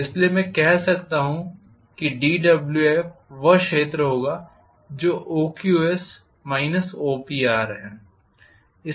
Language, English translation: Hindi, So I can say delta Wf or dWf will be whatever is the area which is OQS minus OPR,Right